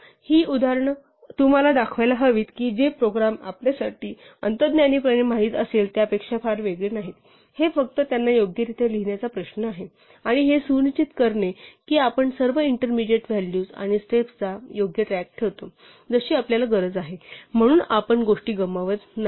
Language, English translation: Marathi, These examples should show you that programs are not very different from what we know intuitively, it is only a question of writing them down correctly, and making sure that we keep track of all the intermediate values and steps that we need as we long, so that we do not lose things